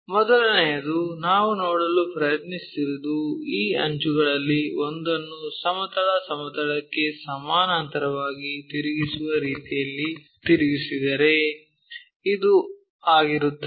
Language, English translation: Kannada, The first one what we are trying to look at is in case one of these edges are rotated in such a way that that will be parallel to our horizontal plane so this one